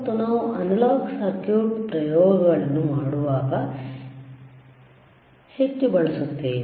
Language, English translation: Kannada, And that also we we heavily use when we do the analog circuits experiments